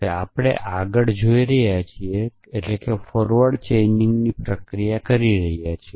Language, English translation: Gujarati, So, this is the process of forward chaining we are looking at